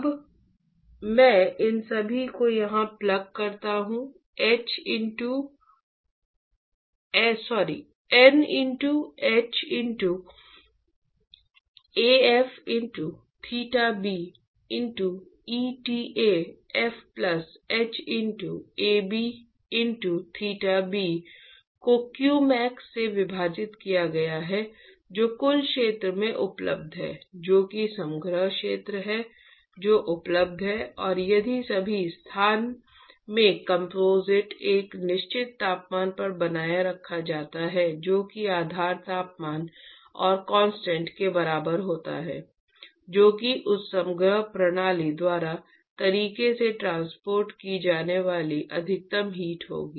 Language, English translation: Hindi, Now I plug all these here the N into h into Af into theta b into eta f plus h into Ab into theta b divided by qmax is h into the total area which is available that is the composite area which is available and if all the every location in the composite is maintained at a certain temperature which is equal to the base temperature and constant, that will be the maximum heat that is transported by that composite system right